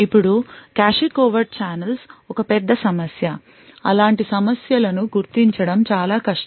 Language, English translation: Telugu, Now cache covert channels are a big problem it is very difficult to actually identify such problems